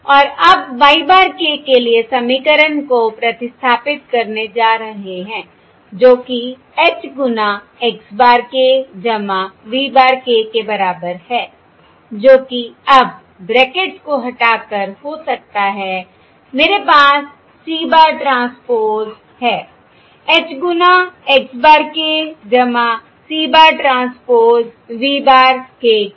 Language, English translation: Hindi, And now, substituting the expression for y bar k, which is equal to H times x bar k plus v bar k, which can be now, by removing the brackets I have c, c bar, transpose h times x bar k plus c bar, transpose v bar k